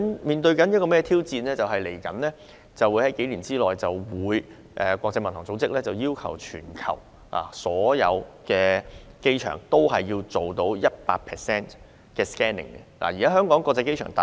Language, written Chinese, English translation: Cantonese, 香港在這方面面對的挑戰是，在未來數年，國際民用航空組織將要求全球所有機場對 100% 空運貨物實施 X 光檢查。, In this regard the challenge that Hong Kong faces is that within a few years ahead the International Civil Aviation Organization will require all airports around the world to examine their air cargoes with X - ray on a 100 % basis